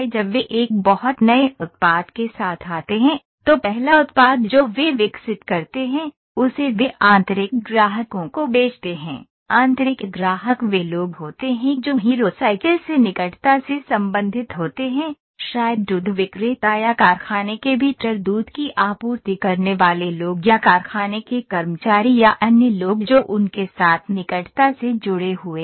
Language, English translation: Hindi, When they come up with a very new product, the first product the prototype they develop they sell it to the internal customers, internal customers are people who are closely related to Hero Cycles maybe milk vendors or supplying milk within the factory or the people who are the employees of the factory or other people who are closely associated with them